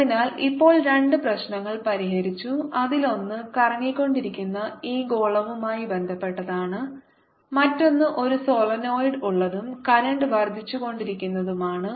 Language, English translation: Malayalam, one of the problems was related to this sphere which is rotating, and the other problem where there's a solenoid and the current is increasing